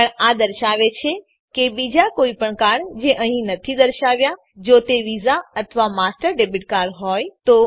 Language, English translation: Gujarati, But it says that for any other card not listed here if it happens to be visa or master debit card Click here